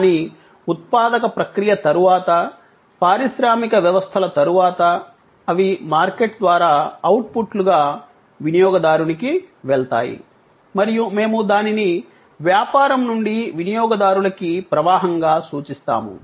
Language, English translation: Telugu, But, post manufacturing process, post industrial systems as outputs, they go to the consumer through the market and we call it as the business to consumer stream